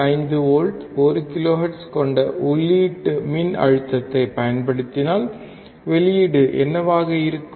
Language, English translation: Tamil, 5 volts 1 kilohertz, what will be the output